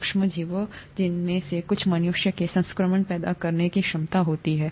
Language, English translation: Hindi, The micro organisms, some of which have the capability to cause infection in humans